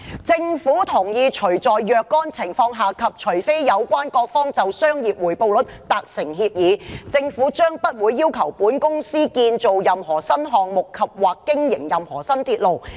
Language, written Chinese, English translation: Cantonese, 政府同意除在若干情況下及除非有關各方就商業回報率達成協議，政府將不會要求本公司建造任何新項目及/或經營任何新鐵路。, The Government agrees that it will not require the Company to construct any New Project andor operate any New Railway except in certain circumstances and provided that the parties agree on the commercial rate of return